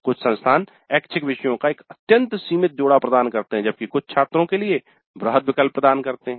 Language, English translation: Hindi, Some institutes offer an extremely limited set of electives while some do offer a wide choice for the students